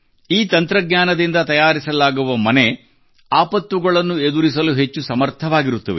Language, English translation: Kannada, Houses made with this technology will be lot more capable of withstanding disasters